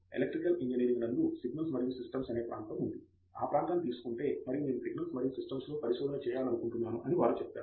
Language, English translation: Telugu, Like in Electrical engineering there is an area called signals and systems they would take that area and they will say I want to do research in signals and systems